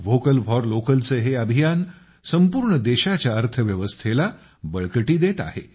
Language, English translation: Marathi, This campaign of 'Vocal For Local' strengthens the economy of the entire country